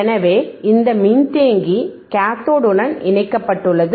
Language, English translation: Tamil, So, this capacitor is connected to the cathode is connected to the cathode